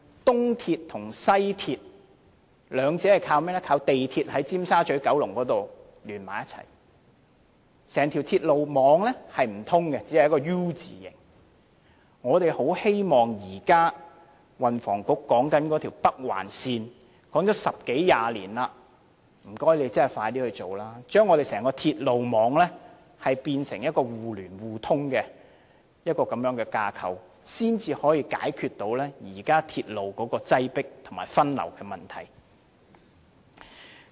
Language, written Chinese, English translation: Cantonese, 東鐵和西鐵兩者是靠港鐵在九龍尖沙咀聯合起來，整條鐵路網並不相通，只是一個 "U" 字型，我們很希望運輸及房屋局現時所說的北環線能實現，而這北環線也說了十多年二十年，麻煩當局盡快實行，將整個鐵路網變成互聯互通的架構，這樣才能解決鐵路現時擠迫和分流的問題。, At present the East Rail Line and the West Rail Line are being linked up at Tsim Sha Tsui in Kowloon presenting only a U - shaped network but the entire railway network is not fully linked up . We very much hope that the Northern Link mentioned by the Transport and Housing Bureau can be put in place . This Northern Link has been mentioned by the authorities for nearly 20 years and we hope that they can have this project implemented as soon as possible so that the entire railway network can be fully linked up in order to resolve the existing problems of crowdedness and passenger diversion